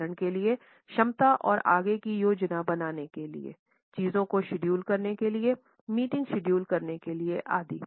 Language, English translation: Hindi, For example, the capability and tendency to plan ahead, to schedule things, to schedule meetings etcetera